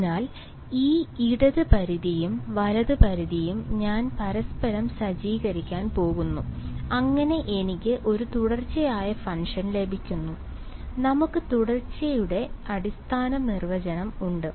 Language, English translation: Malayalam, So, these left limit and right limit I am going to set to each other, so that I get a continuous function we have basic definition of continuity